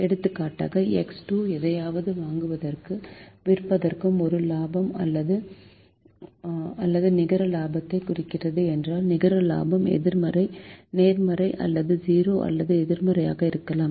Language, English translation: Tamil, for the sake of illustration, if x two represents a, a profit or a net profit from buying and selling something, then the net profit could be positive or zero or negative